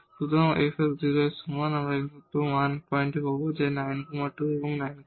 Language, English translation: Bengali, So, f x is equal to 0, we will get only 1 point which is 9 by 2 and 9 by 2